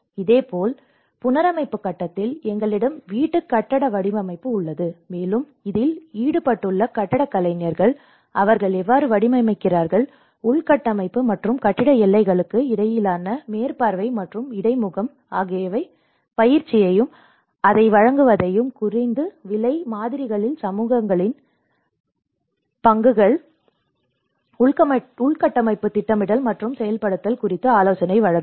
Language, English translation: Tamil, And similarly in the reconstruction stage, we have the housing building design and this is where you can see the more of architects involved in it, how they design, the supervise and interface between infrastructure and building boundaries provide training and the delivery of it and the contribution of the communities in the low cost models and advise on supervision, some guidance, providing some guidance, infrastructure planning and implementation